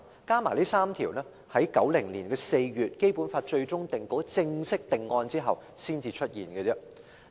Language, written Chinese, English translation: Cantonese, 《基本法》的最終定稿在1990年4月正式定案後，才有這3項罪行。, The provisions on these three offences were included only after the final draft of the Basic Law was officially finalized in April 1990